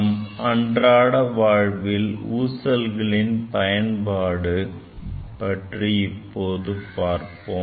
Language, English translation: Tamil, Let us see what are the applications of these pendulums in our day to day life